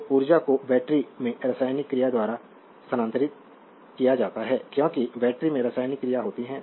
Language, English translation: Hindi, Therefore, the energy is transfer by the chemical action in the battery because battery has a chemical action